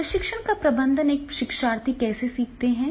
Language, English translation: Hindi, Now managing learning, a learner, how a learner learns